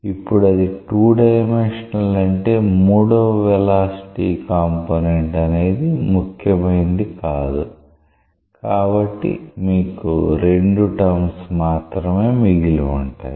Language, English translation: Telugu, Now when it is 2 dimensional; that means, the third velocity component is not important; so you are left with these 2 terms